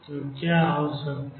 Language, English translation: Hindi, So, what could happen